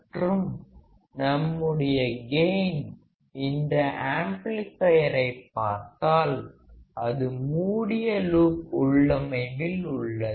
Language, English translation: Tamil, And our gain, if you see this amplifier it is in the closed loop configuration